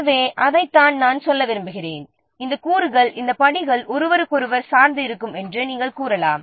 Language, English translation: Tamil, , that's what I want to say that these components, these steps you can say these are dependent on each other